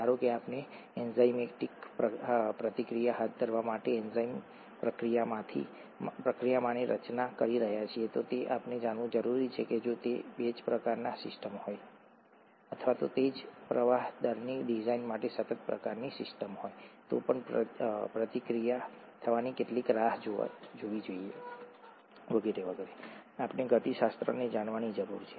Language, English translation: Gujarati, Suppose we are designing an enzyme reactor to carry out an enzymatic reaction, we need to know how long to wait for the reaction to take place if it is a batch kind of system, or even if it’s a continuous kind of a system for design of flow rates and so on and so forth, we need to know the kinetics